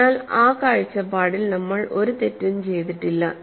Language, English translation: Malayalam, So, from that point of view, we have not done any mistake